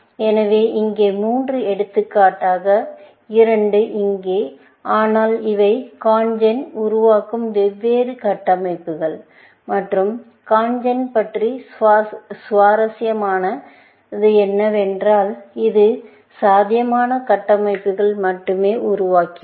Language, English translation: Tamil, So, 3 here, for example, and 2 here, in that, but these are different structures that CONGEN generates and what was interesting about CONGEN was, it generated only feasible structures